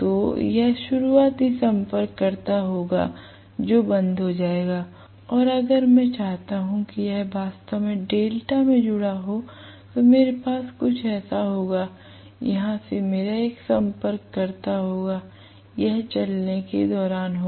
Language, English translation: Hindi, So this will be the starting contactor which will be closed and if I want really this to be connected in delta, I will have something like this from here I will have one contactor, so this will be during running right